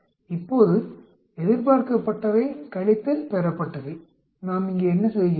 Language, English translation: Tamil, Now expected minus observed what do we do here